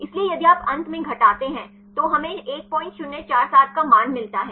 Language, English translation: Hindi, So, if you subtract then finally, we get the value of 1